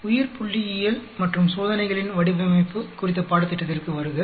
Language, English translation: Tamil, Welcome to the course on Biostatistics and Design of Experiments